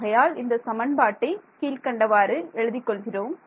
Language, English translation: Tamil, So, let us write actually what we should we do is write down the equation